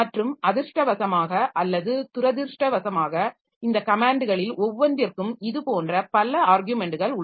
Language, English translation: Tamil, And fortunately or unfortunately there are so many such arguments for each of this command that it is very difficult to remember all of them